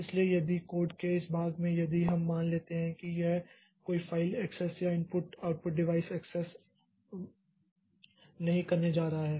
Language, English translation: Hindi, So, if in this part of the code, if we assume that it is not going to do any file access or input output device access, okay